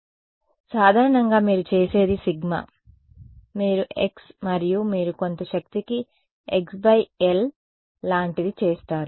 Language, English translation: Telugu, So, typically what you would do is that sigma you would make a function of x and you would do something like x by L to some power m ok